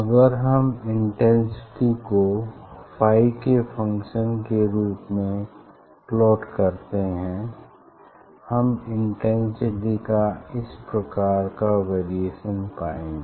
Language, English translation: Hindi, if you plot phi as a function of that is intensity as a function of phi, we will get this type of variation of the intensity